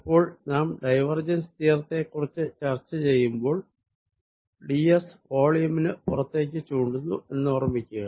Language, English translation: Malayalam, now, when we discuss divergence theorem, remember d s is taken to be pointing out of the volume